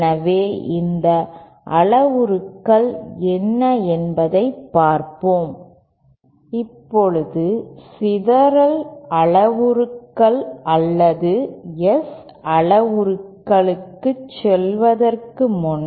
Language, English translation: Tamil, Now before going on moving on to the scattering parameters or S parameters